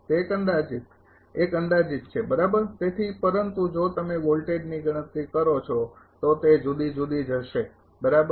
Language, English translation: Gujarati, That is approximate one approximate one right so, but if you calculate voltage it will be different right